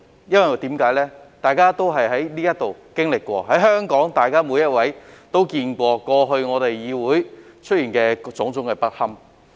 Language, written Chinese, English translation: Cantonese, 因為大家都在這裏經歷過、每一位香港市民也見過議會過去出現的種種不堪。, Because Members have experienced and every Hong Kong citizen has seen all those terrible and unsightly chaos in this Council in the past